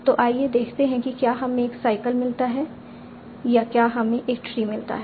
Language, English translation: Hindi, So let us see do we get a cycle or do we get a tree